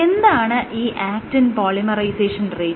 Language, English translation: Malayalam, So, what is actin polymerization rate